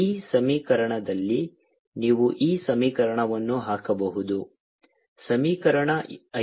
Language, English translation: Kannada, you can put this equation, this equation, equation five